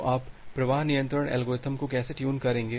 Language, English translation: Hindi, So, how will you tune the flow control algorithm